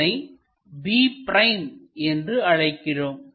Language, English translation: Tamil, This is what we call b’